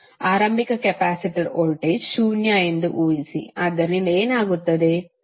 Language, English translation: Kannada, Assume initial capacitor voltage to be zero, so what will happen